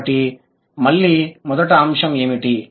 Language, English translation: Telugu, So, what is the first point